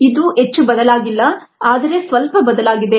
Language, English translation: Kannada, it's not change much, but it has changed a little bit